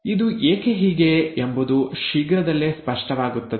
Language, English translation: Kannada, Why this is so will become clear very soon